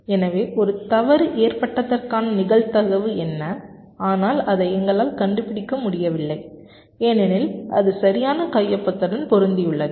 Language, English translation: Tamil, so what is the probability that a fault has occurred but we are not able to detect it because it has matched to the correct signature